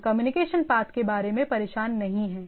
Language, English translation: Hindi, We are not bothered about the communication path